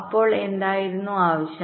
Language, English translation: Malayalam, so what was the requirement